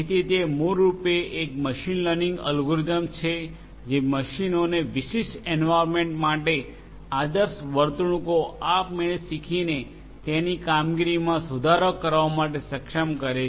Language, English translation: Gujarati, So, it is basically a machine learning algorithm which enables machines to improve its performance by automatically learning the ideal behaviors for a specific environment